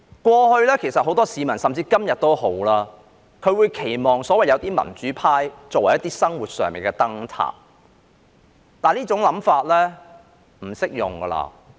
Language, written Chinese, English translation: Cantonese, 過去，甚至今天也好，很多市民期望有些所謂民主派能作為生活上的燈塔，但這種想法已不適用。, In the past and even today many members of the public expect some so - called democrats to act as lighthouses in their lives but this idea is no longer valid